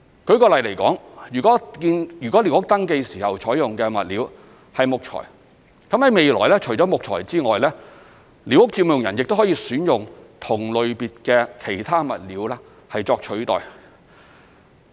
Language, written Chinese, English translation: Cantonese, 舉例來說，如為寮屋登記時採用的物料是木材，未來除了木材外，寮屋佔用人亦可選用同類別的其他物料作替代。, For example if wood was used when the concerned squatter was registered apart from wood squatter occupants can choose other materials under the same category for replacement